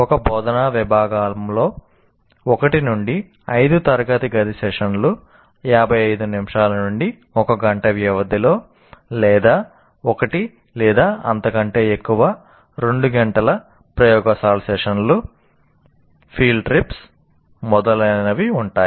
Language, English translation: Telugu, So, as a result, an instructional unit will have 1 to 5 classroom sessions of 15 minutes to 1 hour duration or 1 or more 2 hour laboratory sessions, field trips, etc